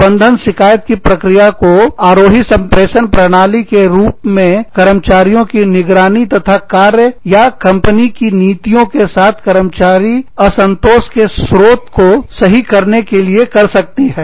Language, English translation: Hindi, Management can use, the grievance procedure, as an upward communications channel, to monitor and correct, the sources of employee dissatisfaction, with jobs or company policies